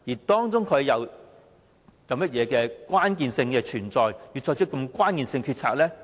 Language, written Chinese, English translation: Cantonese, 當中存在甚麼關鍵性考慮，促使他作出如此關鍵性的決定？, What were the crucial factors for consideration that had prompted the Chief Executive to make such a crucial decision?